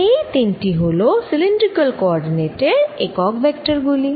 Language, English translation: Bengali, these are the three unit vectors in cylindrical coordinates